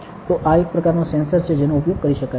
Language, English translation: Gujarati, So, this is one type of a sensor that can be used ok